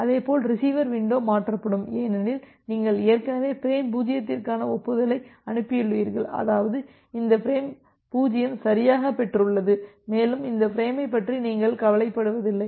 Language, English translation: Tamil, Similarly, the receiver window also get shifted because you have already send a acknowledgement for frame 0; that means, this frame 0 has correctly received and you do not bother about this frame anymore